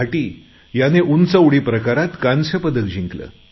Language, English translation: Marathi, Bhati won a bronze medal in High Jump